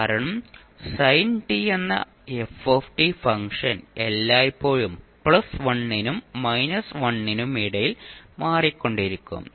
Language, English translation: Malayalam, Because the function f t that is sin t will always oscillate between plus+ 1 and minus 1